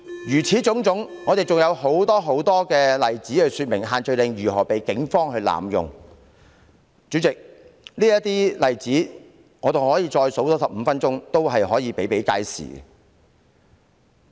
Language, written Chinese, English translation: Cantonese, 如此種種，還有很多例子可說明限聚令如何遭到警方濫用，主席，我可以多說15分鐘，例子仍然比比皆是。, All these are examples to illustrate how the Police have used the social gathering restrictions abusively . President there are still many more examples for me to cite if I can speak 15 more minutes